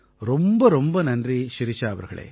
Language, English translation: Tamil, Many many thanks Shirisha ji